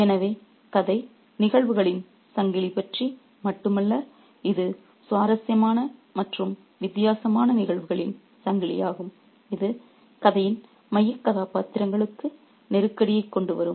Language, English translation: Tamil, So, the story is not only about a chain of events, it's a chain of interesting and different events which will bring a crisis to the central characters in the story